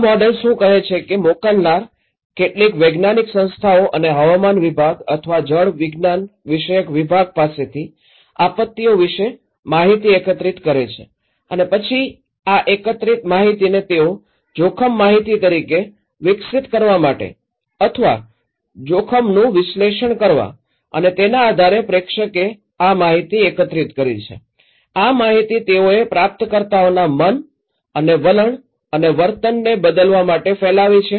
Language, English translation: Gujarati, What is this model is saying that a sender, they collect informations from some scientific bodies or some outsiders like meteorological department or hydrological department about the disasters and then this collected risk informations, in order to develop a kind of informations or analysis of risk and based on that the sender collecting this information, dispersed this informations to their receivers in order to change the receivers mind and attitude and behaviour